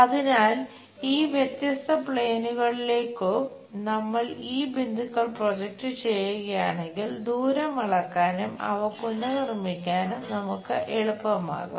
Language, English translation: Malayalam, So, if we are projecting these points onto these different planes, it becomes easy for us to measure the distances and reproduce those things